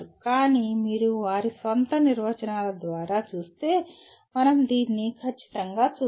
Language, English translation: Telugu, But if you look at by their own definitions, let us strictly go through this